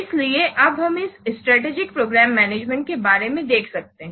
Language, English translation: Hindi, So, you see, we have to see the strategic program management